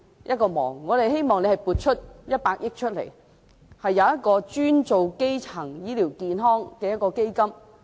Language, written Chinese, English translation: Cantonese, 我們希望政府撥出100億元，設立專門用於基層醫療健康的基金。, We hope the Government can allocate 10 billion for setting up a dedicated fund for primary health care